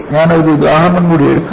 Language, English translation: Malayalam, I will show one more example